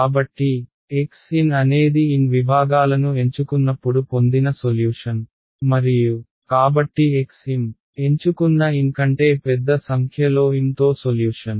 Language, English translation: Telugu, So, x n is the solution obtained when N segments chosen and x m therefore, is the solution with m larger number larger than N chosen